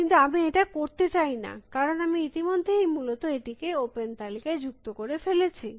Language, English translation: Bengali, But, I do not want to do that, because I have already added this in the open list essentially